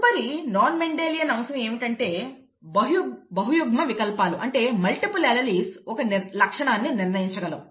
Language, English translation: Telugu, The next non Mendelian aspect is that, multiple alleles can determine a trait